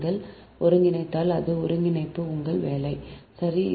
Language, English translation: Tamil, if you integrate, it is integration, is your, your job, right